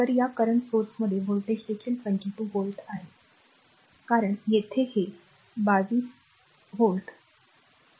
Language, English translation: Marathi, So, across this across this current source the voltage is also 22 volt because here it is across this is 22 volt